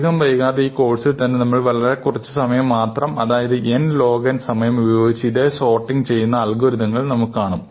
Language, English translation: Malayalam, On the other hand, we will see soon in this course, that there are much cleverer sorting algorithms, which work in time proportional to n log n